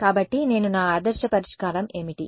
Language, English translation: Telugu, So, I my ideal solution is what